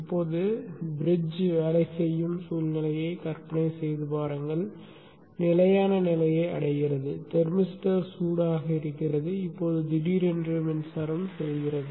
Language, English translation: Tamil, Now imagine a situation where the bridge is working, it's reached a stable state, the thermister is hot, and now the power goes suddenly